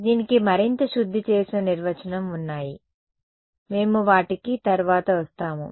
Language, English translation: Telugu, There are more refined definition of this we will come to them later